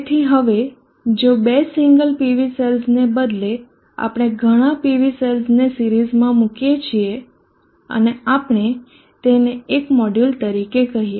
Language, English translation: Gujarati, So now if you consider instead of two single PV cells, we put many PV cells in series and we call that one as module